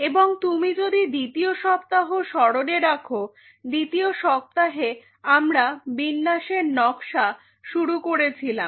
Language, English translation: Bengali, And if you recollect up to a second week or during the second week we have started the layout design